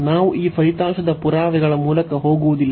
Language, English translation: Kannada, So, we will not go through the proof of this result